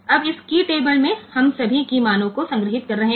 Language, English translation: Hindi, Now so, this in the key table we are storing all the key values